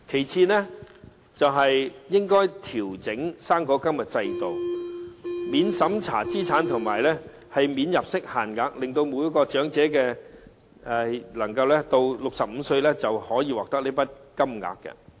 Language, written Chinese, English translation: Cantonese, 此外，應該調整高齡津貼制度，免審查資產和免入息限額，令每名長者到65歲時便可獲得一筆金額。, Moreover the system of OAA should be adjusted to be free from any means test or income limit so that every old person will receive a sum of money when he reaches the age of 65